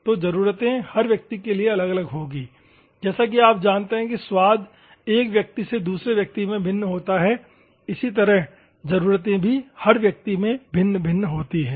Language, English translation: Hindi, So, your requirements, person to person will vary as you know taste varies from person to person, similarly, your requirements also vary from person to person